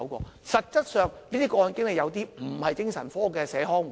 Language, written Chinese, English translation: Cantonese, 然而，實質上，這些個案經理有些不是精神科的社康護士。, However some case managers are essentially not community psychiatric nurses